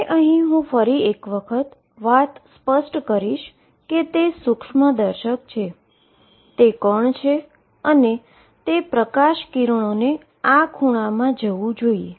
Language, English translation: Gujarati, So, again let me make it to make it clear it is the microscope it is the particle and the light rays should go into this angle